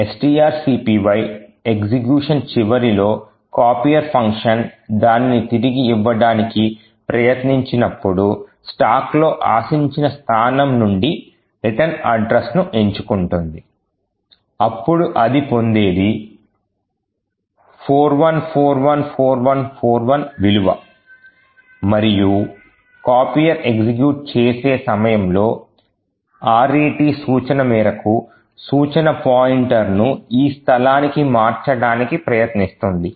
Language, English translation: Telugu, Now at the end of execution of string copy when this particular function copier tries to return it picks the return address from the expected location on the stack that what it would obtain is this value 41414141 and during their RET instruction that copier executes it tries to change the instruction pointer to this location